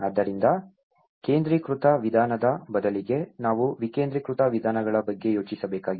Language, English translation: Kannada, So, all this instead of centralized approach, we need to think of the decentralized approaches